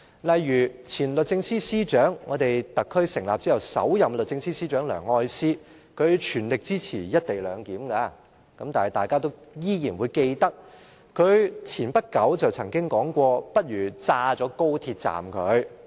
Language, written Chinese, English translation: Cantonese, 例如前律政司司長，特區政府成立後的首任律政司司長梁愛詩，她全力支持"一地兩檢"，但是，大家都仍然記得，她不久前曾經說過"不如炸掉高鐵站"。, For example a former Secretary for Justice and in fact the first Secretary for Justice after the setting up of the SAR Government Ms Elsie LEUNG said that she fully supported the co - location arrangement . But everyone should remember her saying that it would be better to blow up the XRL station